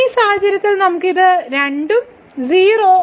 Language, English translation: Malayalam, So, in this case we got this 0 both are 0